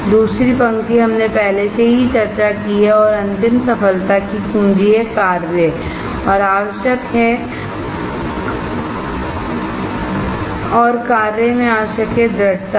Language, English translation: Hindi, The second line, we already discussed and the final one is the key to success is action and essential and the essential in action is perseverance